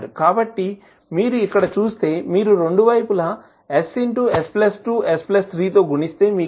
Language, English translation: Telugu, So, if you see here, if you multiply both sides by s into s plus 2 into s plus 3, so what you will get